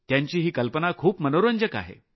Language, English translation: Marathi, Their idea is very interesting